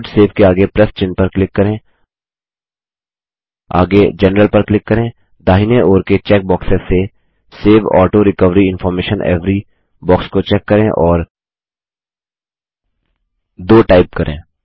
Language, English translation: Hindi, Click on the plus sign next to Load/Savenext on Click General gtgt From the check boxes on the right gtgt Check the box Save Auto recovery information every and type 2